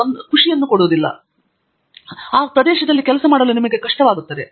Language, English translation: Kannada, And if it does not appeal to you it is difficult for you to do good work in that area